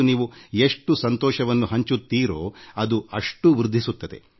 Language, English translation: Kannada, The more you share joy, the more it multiplies